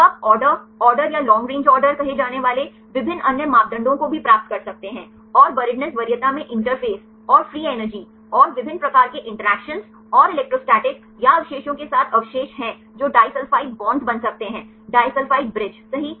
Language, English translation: Hindi, So, you can also derive various other parameters say conduct order or long range order, and the buriedness preference have residues to be with the interface, and the free energy, and different types of interactions and the electrostatic or the residues which can form disulphide bonds, disulphide bridges right